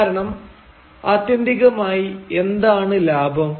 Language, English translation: Malayalam, Because ultimately, what is profit